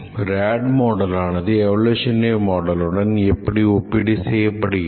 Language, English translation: Tamil, How does rad model compare with the evolutionary model